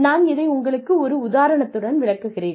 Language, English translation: Tamil, I will just give you a random example